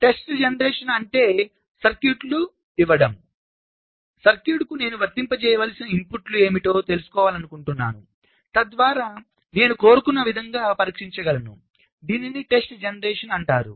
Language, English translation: Telugu, test generation means, given a circuit, i want to find out what are the inputs i need to apply to the circuit so that i can test it in the way i want